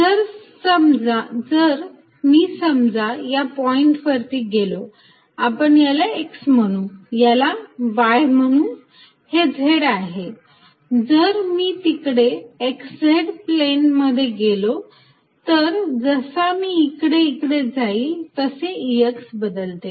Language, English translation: Marathi, So, if I am at this point let us say this is x, this is y, this is z if I go from here in the x z plane, the E x component may changes as I move here